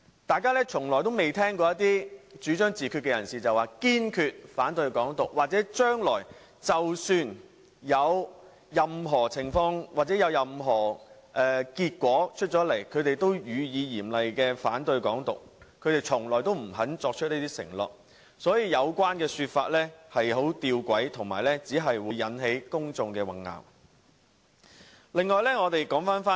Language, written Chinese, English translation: Cantonese, 大家從未聽過一些主張自決的人士表明堅決反對"港獨"，或即使將來出現任何情況或結果，他們也會嚴厲反對"港獨"，他們從來不肯作出這種承諾，所以有關說法十分弔詭，並只會混淆公眾。, We have never heard those who advocate self - determination declare firm opposition to Hong Kong independence that they will strongly oppose Hong Kong independence no matter what will happen in the future . They are never willing to make such a commitment . The arguments are most paradoxical and will only confuse the public